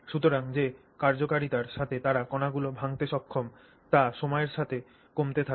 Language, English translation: Bengali, So, the effectiveness, the efficiency with which they are able to break down the particles keeps coming down with time